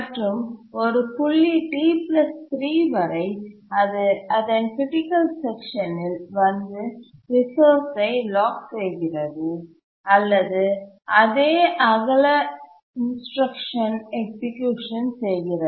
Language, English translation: Tamil, until a point T plus 3 where it gets into its critical section and does a lock resource or a same weight instruction execution